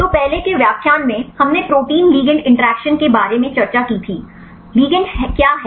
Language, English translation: Hindi, So, in the earlier lecture we discussed about protein ligand interactions, what is a ligand